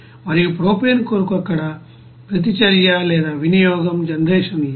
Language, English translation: Telugu, And for propane since there is no reaction or consumption or generation there